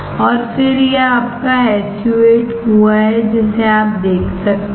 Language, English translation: Hindi, And then this is your SU 8 well you can see